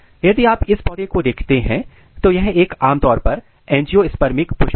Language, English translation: Hindi, If you look this plants, so this is a typical flower, this is typical angiospermic flower